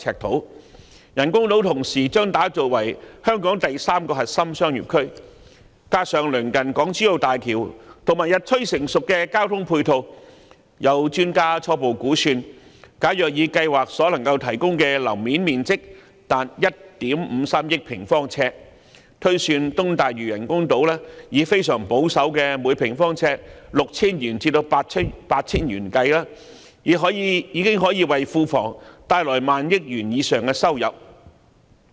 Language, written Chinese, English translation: Cantonese, 同時，人工島將打造成香港第三個核心商業區，加上鄰近港珠澳大橋及日趨成熟的交通配套，有專家初步估算，如果以計劃所能夠提供達1億 5,300 萬平方呎的樓面面積推算，並以東大嶼人工島非常保守的每平方呎 6,000 元至 8,000 元計算，已可以為庫房帶來上萬億元的收入。, At the same time with the development of a third core business district on those artificial islands in Hong Kong the nearby Hong Kong - Zhuhai - Macao Bridge and also the increasingly sophisticated ancillary transport facilities some experts have given a preliminary estimate that an income of over 1,000 billion can be generated for the public coffers if computation is done based on the plans provision of a floor area of as much as 153 million sq ft at a very conservative price in the range of 6,000 and 8,000 per square foot on the Lantau East artificial island